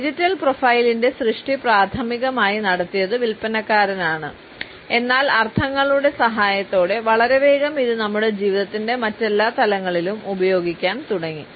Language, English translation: Malayalam, The creation of the digital profile was primarily done by the sales people, but with the help of the connotations we find that very soon it started to be used in almost every other dimension of our life